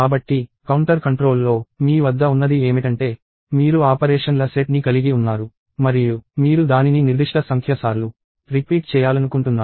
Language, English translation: Telugu, So, in counter controlled, what you have is you have a set of operations and you want to repeat that a certain number of times